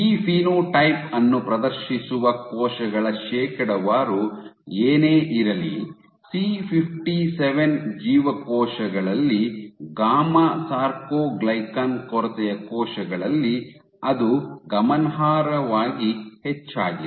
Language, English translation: Kannada, Whatever be the percent of cells exhibiting this phenotype in case of C57 cells in gamma soarcoglycan deficient cells it is significantly higher